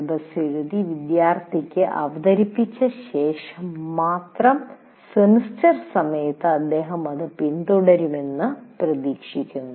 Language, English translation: Malayalam, Only thing after writing the syllabus and presenting to the students during the semester, he is expected to follow that